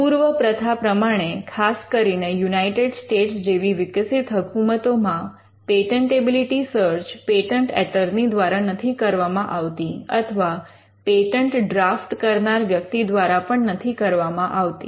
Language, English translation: Gujarati, By convention, especially in the advanced jurisdictions like United States, a patentability search is not done by the patent attorney